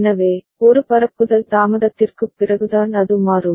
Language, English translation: Tamil, So, it will change after one propagation delay only